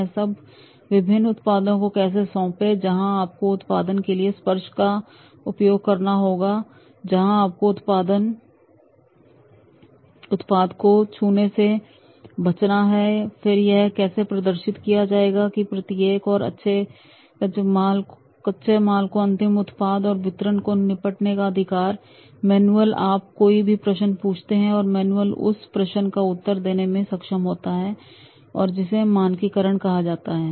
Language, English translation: Hindi, How to hand over different products, whether where you have to use the touch to the product, where you have to use the touch to the product, where you have to avoid a test to the product and then how it has to be demonstrated that each and every raw from the handling the raw material to the end product and delivery that manual you ask any question and the manual is able to answer that question and that is called standardization